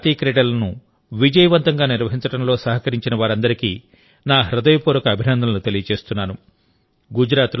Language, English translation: Telugu, Friends, I would also like to express my heartfelt appreciation to all those people who contributed in the successful organization of the National Games held in Gujarat